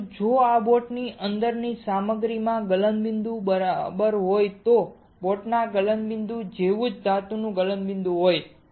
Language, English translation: Gujarati, But what if the material inside this boat has a melting point has a melting point of metal similar to the melting point of boat